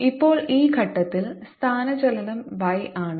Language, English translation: Malayalam, at this point the displacement is y